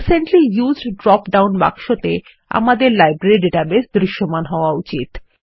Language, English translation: Bengali, In the Recently Used drop down box, our Library database should be visible, So now, click on the Finish button